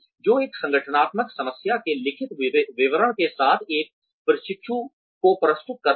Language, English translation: Hindi, Which presents a trainee, with the written description of an organizational problem